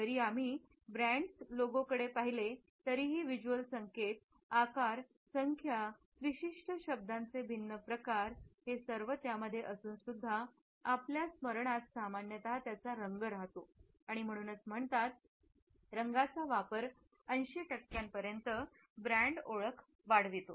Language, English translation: Marathi, Even though when we look at a brands logo there are different types of visual cues, shapes, numbers, certain words would also be there, but what stands out ultimately is the color which we normally remember and the use of color increases brand recognition by up to 80 percent